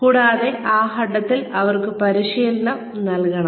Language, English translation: Malayalam, And, at that point, the training should be given to them